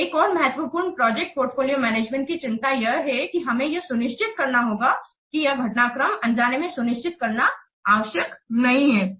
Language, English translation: Hindi, So another important concern of project portfolio management is that we have to ensure that necessary developments have not been inadvertently missed